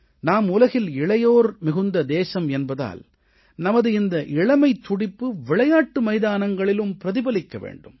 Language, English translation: Tamil, If we are a young nation, our youth should get manifested in the field sports as well